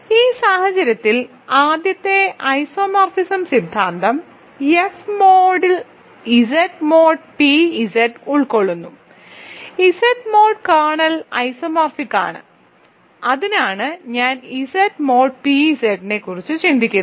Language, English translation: Malayalam, In this case Z mod p Z is contained in F by the first isomorphism theorem, Z mod kernel is isomorphic to it is image which I am thinking of Z mod p z